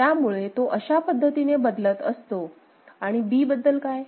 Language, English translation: Marathi, So, it is moving like this ok and what about B right